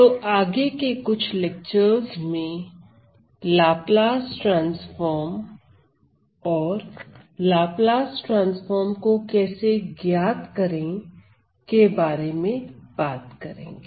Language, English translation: Hindi, So, in my next set of notes and next set of you know lectures I am going to talk about Laplace transform and how to evaluate Laplace transforms